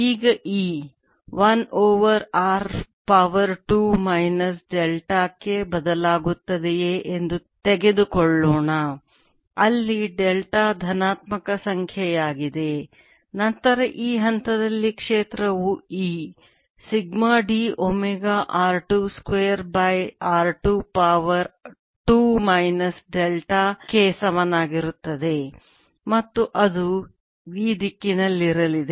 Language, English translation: Kannada, now let's take if e varies as one over r tracer, two minus delta, where delta is a positive number, then the field at the this point in between is going to be e sigma d omega r two square, divided by r two raise to two minus delta, and that's going to be in this direction